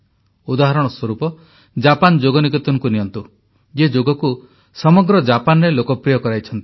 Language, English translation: Odia, For example, take 'Japan Yoga Niketan', which has made Yoga popular throughout Japan